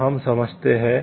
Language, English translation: Hindi, So, we understand